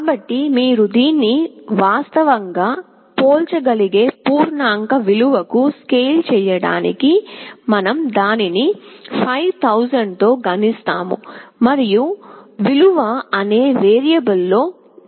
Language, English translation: Telugu, So, to scale it up to an integer value, which you can actually compare, we multiply it by 5000, and store in a variable called “value”